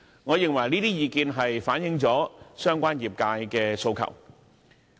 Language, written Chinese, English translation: Cantonese, 我認為這些意見均反映了相關業界的訴求。, I consider these suggestions a reflection of the aspirations of the relevant industry